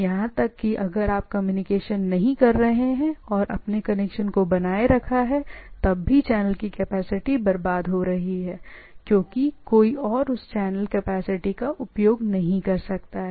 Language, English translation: Hindi, Even if you are not communicating holding the phone or even not no data communication is not there, the channel capacity is wasted no other party can use the things